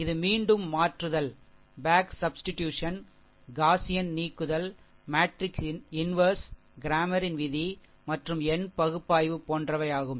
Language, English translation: Tamil, That is your back substitution ah, Gaussian elimination, matrix inversion, cramers rule and numerical analysis